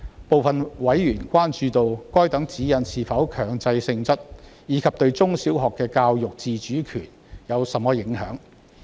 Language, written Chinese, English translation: Cantonese, 部分委員關注到，該等指示是否強制性質，以及該等指示對中小學的教學自主權有何影響。, Some members have expressed concern about whether the directions are mandatory and their impact on the autonomy of primary and secondary schools in teaching